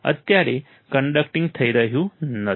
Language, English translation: Gujarati, Right now, it is not conducting